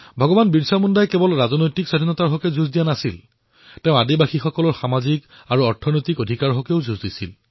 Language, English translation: Assamese, BhagwanBirsaMunda not only waged a struggle against the British for political freedom; he also actively fought for the social & economic rights of the tribal folk